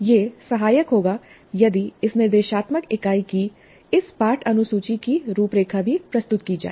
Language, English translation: Hindi, It would be helpful if an outline of this lesson schedule of this instructional unit is also presented upfront